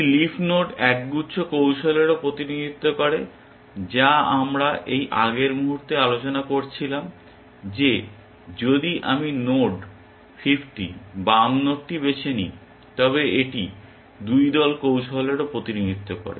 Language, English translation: Bengali, A leaf node also represents a cluster of strategies, which is what we were discussing in the moment ago that, if I were to choose this node 50, the left most node then, it represents a cluster of 2 strategies